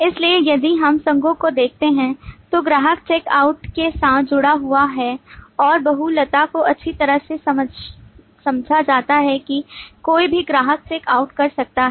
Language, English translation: Hindi, So if we look at the associations, customer is associated with check out and the multiplicity is well understood that any number of customers could do check out